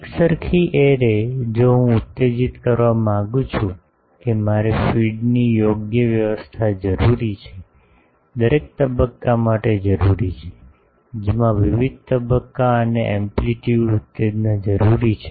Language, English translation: Gujarati, An uniform array, if I want to excide that I need to have a proper feeding arrangement, for every element with different phase and amplitude excitations as required